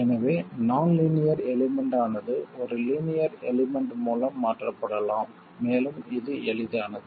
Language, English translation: Tamil, So, the nonlinear element can be itself replaced by a linear element